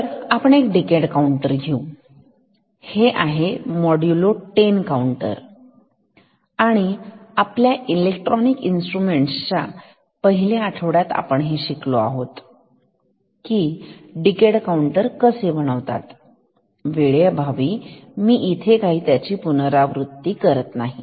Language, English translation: Marathi, So, let us take a decade counter, this is modulo 10 counter and in our first week of electronic instruments we have studied how a decade counter can be made, I am not repeating for the sake of time